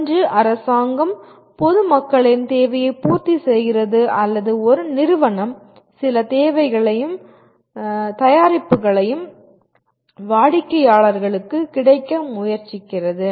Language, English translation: Tamil, Either government is meeting the general public’s requirement or a company is trying to make certain services and products available to customers